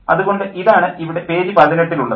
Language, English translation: Malayalam, So this is what I have here on page 18